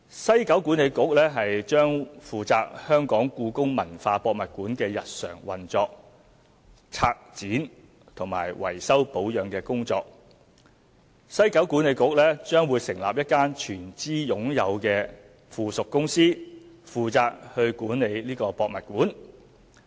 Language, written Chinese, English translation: Cantonese, 西九管理局將負責故宮館的日常運作、策展和維修保養工作，西九管理局將成立一間全資擁有的附屬公司負責管理博物館。, WKCDA would not only oversee the day - to - day operation curatorial and maintenance of HKPM but would also set up a wholly - owned subsidiary company to govern the new museum